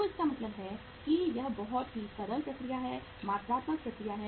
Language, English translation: Hindi, So it means it is a very simple process, quantitative process